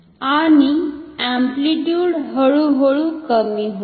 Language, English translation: Marathi, So, the amplitude will be decreased